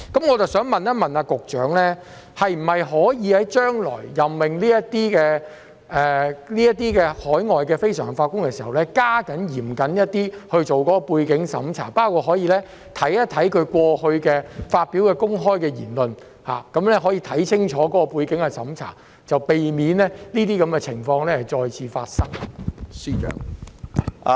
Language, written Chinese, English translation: Cantonese, 我想問局長，是否可以在將來任命這些海外非常任法官時，加緊進行嚴謹的背景審查，包括翻查他們過去發表的公開言論，作清楚的背景審查，避免這些情況再次發生？, May I ask the Chief Secretary whether it is possible to conduct more rigorous background checks when appointing these overseas NPJs in the future including examining the public remarks made by them previously so that the recurrence of this situation can be prevented by thorough background checks?